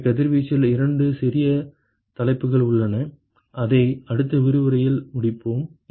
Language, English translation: Tamil, So, there are a couple of small topics in radiation that we will finish in the next lecture